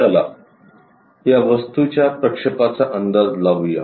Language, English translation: Marathi, Let us guess projections for this object